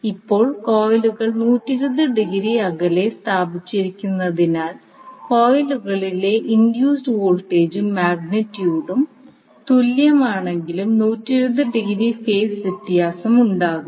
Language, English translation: Malayalam, Now, since the coils are placed 120 degree apart, the induce voltage in the coils are also equal in magnitude but will be out of phase by 120 degree